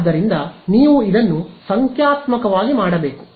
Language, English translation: Kannada, So, you have to do this numerically right